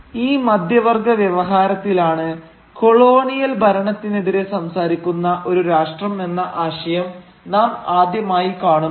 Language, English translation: Malayalam, Because it is only in this middle class discourse that we first come across the notion of a nation speaking out against the colonial rule